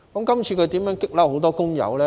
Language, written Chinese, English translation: Cantonese, 這次他如何把很多工友激怒呢？, How did he provoke many workers this time?